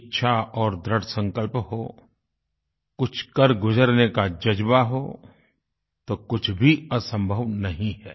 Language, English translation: Hindi, If one possesses the will & the determination, a firm resolve to achieve something, nothing is impossible